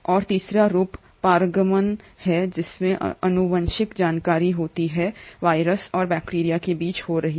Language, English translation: Hindi, And a third form is transduction wherein there is a genetic information happening between a virus and a bacteria